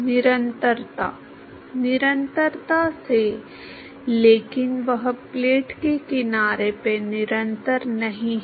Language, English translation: Hindi, By continuity, but that is not continuous at the edge of the plate